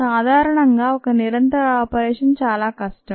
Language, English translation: Telugu, typically, a continuous operation is a lot more difficult